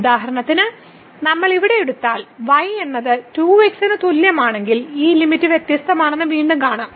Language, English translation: Malayalam, For example, if we take is equal to 2 if we take this path here and then again we will see that the limit is different